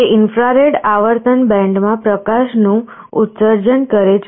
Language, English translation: Gujarati, It emits a light, but in the infrared frequency band